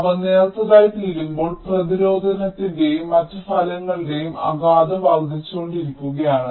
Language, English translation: Malayalam, i mean they are becoming thinner and as they are becoming thinner, the the impact of the resistive and other effects are increasing